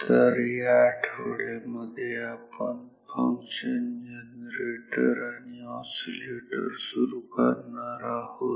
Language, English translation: Marathi, So, this week we are starting function generators and oscillator circuits